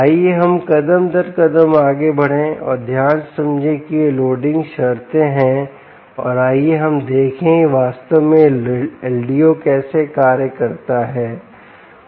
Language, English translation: Hindi, lets go step by step and understand this is loading conditions carefully and let us see exactly how this l d o actually functions